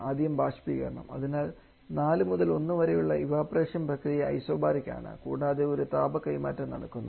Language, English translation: Malayalam, First the evaporator so for the evaporator where we are talking about the process 4 to1 here it is isobaric and there is a heat transfer going on